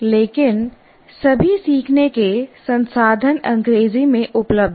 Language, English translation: Hindi, But all learning resources are available in English